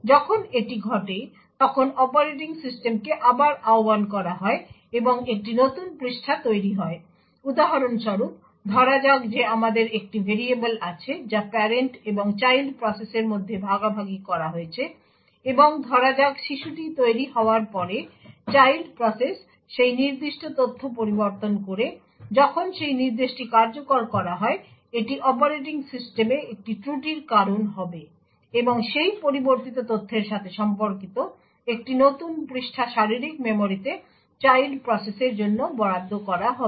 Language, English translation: Bengali, When this happens, then the operating system gets invoked again and a new page gets created for example, let us say we have one variable which is shared between the parent and the child process and let us say after the child gets created, the child process modifies that particular data when that instruction gets executed it would result in a fault in operating system and a new page corresponding to that modified data gets allocated to the child process in the physical memory